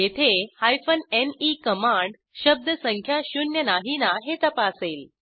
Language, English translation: Marathi, Here, ne command checks whether word count is not equal to zero